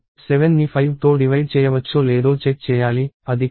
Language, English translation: Telugu, I can check whether 7 is divisible by 3; it is not